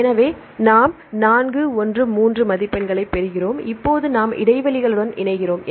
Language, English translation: Tamil, So, we get the score of 4 1 3, now we align with the gaps